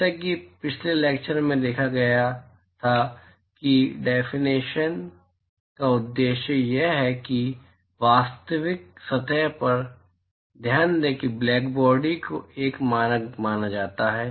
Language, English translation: Hindi, As observed in the last lecture the purpose of such definitions is that in a real surface, so, note that blackbody is a is considered as a standard